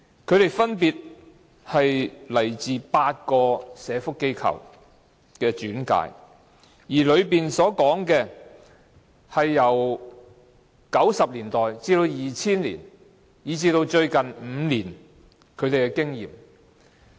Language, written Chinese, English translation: Cantonese, 他們分別轉介自8個社福機構，而其中說的是他們由1990年代至2000年，以至最近5年的經驗。, They were referred to the institutions from eight social welfare organizations respectively . They talked about their experiences between the 1990s and 2000 and in the past five years